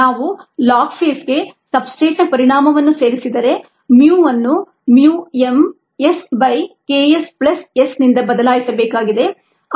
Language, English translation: Kannada, if it is possible, if we incorporate the effect of the substrate for the log phase, the mu needs to be replaced by mu m s, by k s plus s